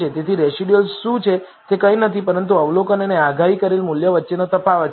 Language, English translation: Gujarati, So, what are residuals are nothing, but difference between the observed and predicted values